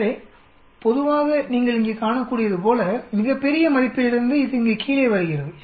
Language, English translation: Tamil, So, generally as you can see here, from a very large value it sort of comes down here